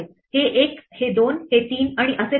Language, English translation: Marathi, This is one this is 2 this is 3 and so on